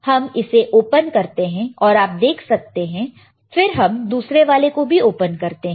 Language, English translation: Hindi, So, we open it, you see here and then we open the other one